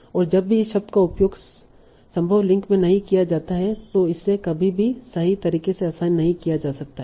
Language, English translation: Hindi, And whenever the word is used in not so probable links it can never be correctly assigned